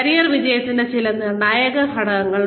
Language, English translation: Malayalam, Some determinants of career success